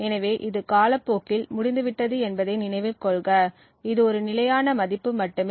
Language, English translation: Tamil, So, note that this is over time, while this is just a constant value